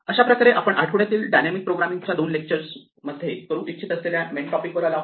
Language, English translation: Marathi, This brings us to the main topic that we want to do this week in a couple of lectures which is called dynamic programming